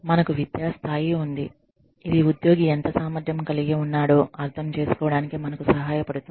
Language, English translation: Telugu, We have educational level, that helps us understand, how capable an employee is